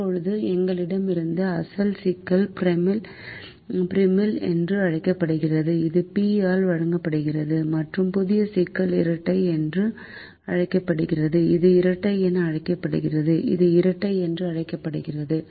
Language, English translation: Tamil, now, the original problem that we had is called the primal, which is given by p, and the new problem is called the dual, is called the dual